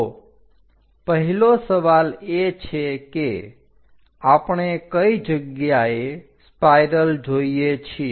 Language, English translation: Gujarati, So, where do we see the first question spiral